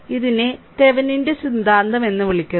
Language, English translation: Malayalam, So, this is your what you call that Thevenin’s theorem